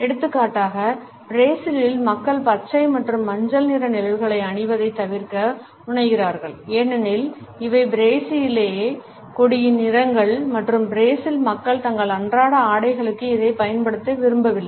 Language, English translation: Tamil, For example, in Brazil people tend to avoid wearing shades of green and yellow because these are the colors of the Brazilian flag and the people of brazil do not want to use it for their day to day apparels